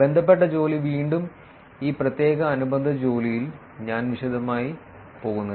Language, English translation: Malayalam, Related work again I am not going to detail in this particular related work